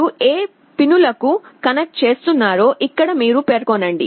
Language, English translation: Telugu, Here you specify which pins you are connecting to